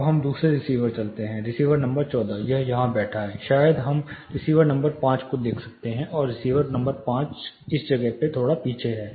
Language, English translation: Hindi, So, where he is sitting here, receiver number 14 is I do not have, probably we can look at, receiver number 5, and receiver number 5 is little behind this place